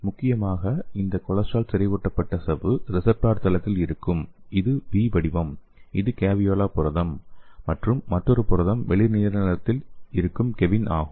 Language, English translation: Tamil, And mainly this cholesterol enriched membrane will be there at the receptor site and here you can see this is your V shape this is your caveolae protein and another protein is cavin that is in light blue color okay